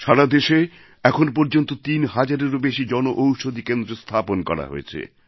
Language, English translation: Bengali, Today, over three thousand Jan Aushadhi Kendras have been set up across the country